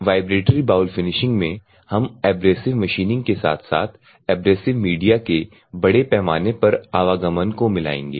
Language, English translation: Hindi, So, in the vibratory bowl finishing, we will combine in the abrasive machining as well as the mass moment of abrasive media